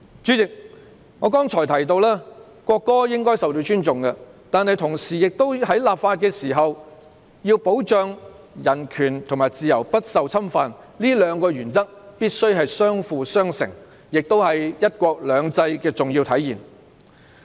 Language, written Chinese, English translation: Cantonese, 主席，我剛才提到，國歌應該受到尊重，但在立法時必須保障市民的人權和自由不受侵犯，這兩個原則必須相輔相成，亦是"一國兩制"的重要體現。, Chairman just now I said that the national anthem should be respected . However during legislation it is imperative to protect peoples rights and freedom from infringement . These two principles must complement each other